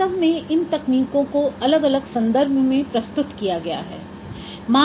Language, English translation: Hindi, So actually these techniques, they are presented in varying, varying contexts